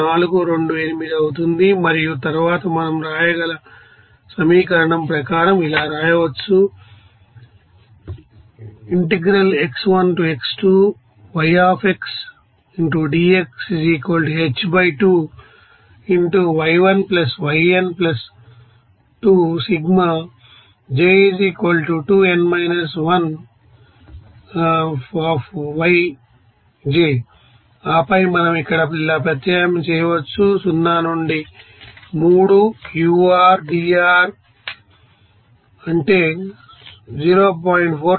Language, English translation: Telugu, 428 and then we can write as per equation we can write And then we can substitute here as like this here 0 to 3 ur dr that will be is equal to 0